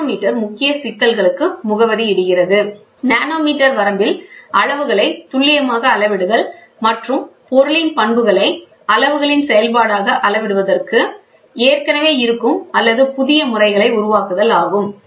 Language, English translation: Tamil, The nanometer addresses to main issues, precise measurement of sizes in nanometer range, and adapting existing or developing new methods to characterize properties as a function of size